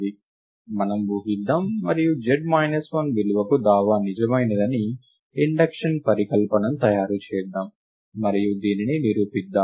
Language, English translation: Telugu, Let us assume, and let us make the induction hypothesis that the claim is indeed true for a value z minus 1 ,and let us prove this for z this would complete the induction step right